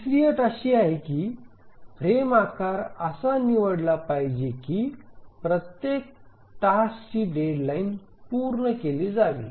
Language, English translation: Marathi, Now let's look at the third condition which says that the frame size should be chosen such that every task deadline must be met